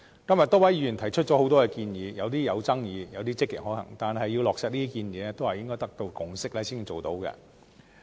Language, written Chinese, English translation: Cantonese, 今天多位議員提出很多建議，有些有爭議，有些積極可行。但是，要落實這些建議，就必須得到共識。, The many suggestions made by Members today some being disputable while some others being proactively feasible can be implemented only when a consensus is reached